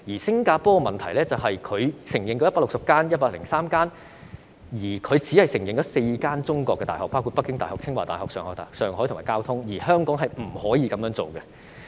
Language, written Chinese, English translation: Cantonese, 新加坡認可103所外國醫學院，但當中只有4所中國大學，包括北京大學、清華大學、上海復旦大學和交通大學，而香港不可以這樣做。, In Singapore among the 103 recognized overseas medical schools only four are universities in China namely Peking University Tsinghua University Shanghai Fudan University and Jiaotong University . But the same cannot be done in Hong Kong